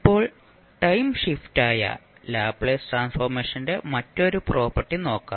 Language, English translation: Malayalam, Now, let us see another property of the Laplace transform that is time shift